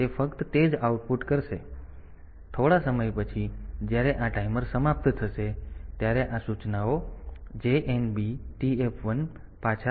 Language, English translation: Gujarati, So, after some time when this timer will expire these instructions JNB TF1 back